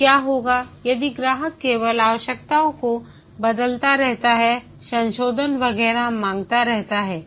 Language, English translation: Hindi, Now what if the customer just keeps changing the requirements, keeps on asking for modifications and so on